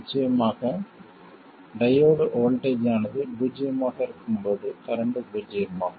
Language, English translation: Tamil, And of course it is a current is 0 when the diode voltage is 0